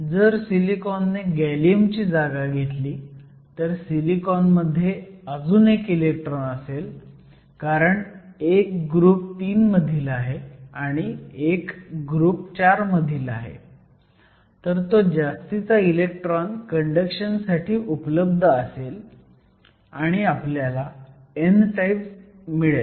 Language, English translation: Marathi, So, if the silicon replaces the gallium and silicon has one more electron because this is group four, this is group three, so the extra electron is available for conduction, it will make it n type